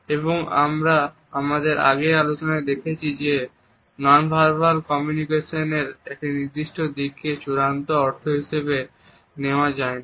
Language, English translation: Bengali, And as we had seen in our earlier discussions a single aspect of non verbal communication cannot be taken up as being the final meaning; however, it is a very positive indication